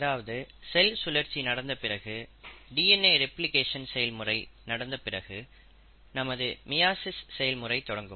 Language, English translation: Tamil, So after the process of cell cycle has happened, the process of DNA replication has taken place, we will be starting our process of meiosis from here